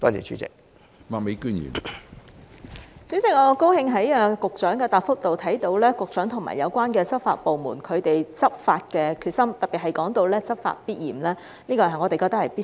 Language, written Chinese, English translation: Cantonese, 主席，我很高興在局長的答覆看到，局長和有關執法部門執法的決心，特別是說到"執法必嚴"，我們覺得是必須的。, President I am very glad to notice from the Secretarys reply the determination of the Secretary and the law enforcement agencies to enforce the law . In particular it was said that laws are strictly enforced; we think that is necessary